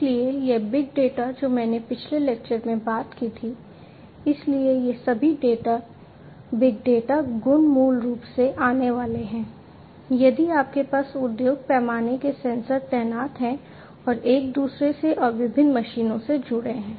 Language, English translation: Hindi, So, this big data that I talked about in a previous lecture so, all these big data properties are basically going to come if you are going to have industry scale sensors deployed and connected to one another and to different machines and so on